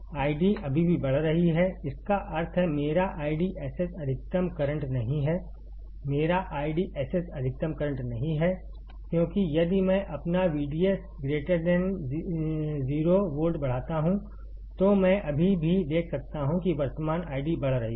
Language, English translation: Hindi, The I D is still increasing; that means, my I DSS is not the maximum current, my I DSS is not maximum current, because if I increase my V G S greater than 0 volt, I can still see that the current I D is increasing